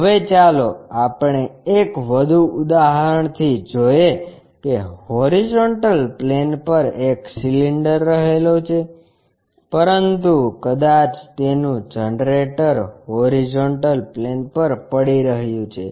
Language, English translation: Gujarati, Now, let us begin with one more example a cylinder resting on horizontal plane, but maybe its generator is resting on horizontal plane